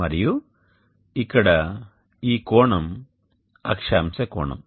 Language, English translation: Telugu, This is the latitude angle